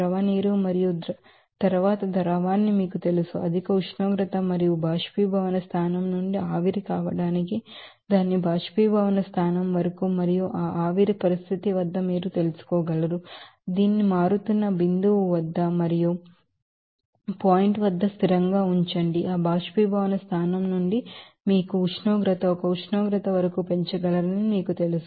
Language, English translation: Telugu, They are you know solid water will be converting to you know that liquid water and then liquid to you know, a higher temperature and up to its boiling point after the from the boiling point to be vaporized, and then at that vaporization condition, you can you know, keep the constant at a certain you know boiling point that at its boiling point and then you know from that boiling point you can rise the temperature up to a certain temperature as part of your you know consideration